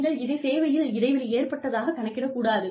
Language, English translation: Tamil, This should not be counted, as a break in service